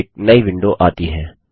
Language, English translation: Hindi, A new window pops up